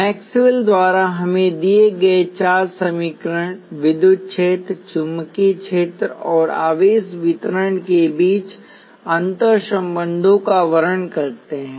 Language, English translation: Hindi, The four equations given to us by Maxwell describe the interrelationships between electric field, magnetic field and charge distribution